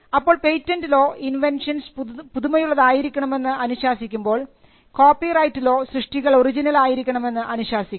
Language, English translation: Malayalam, So, patent law requires inventions to be novel and copyright requires works to be original